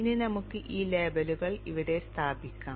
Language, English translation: Malayalam, Now let us place these labels here